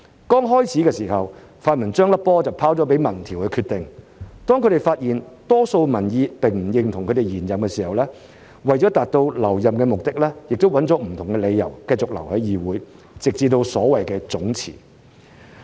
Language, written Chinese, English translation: Cantonese, 剛開始的時候，泛民將球拋由民調決定，當他們發現多數民意並不認同他們延任時，為了達到留任的目的，亦以不同的理由繼續留在議會，直至所謂總辭。, In the beginning the pan - democrats let public opinion survey decide . Yet when they found out that the majority of public opinion did not approve of their stay for the extended term they used different excuses to stay in the legislature until the so - called mass resignation